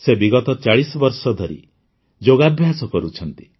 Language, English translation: Odia, She has been practicing yoga for the last 40 years